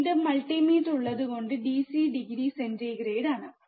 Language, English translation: Malayalam, Again, the multimeter is in DC degree centigrade